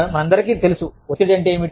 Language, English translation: Telugu, We all know, what stress is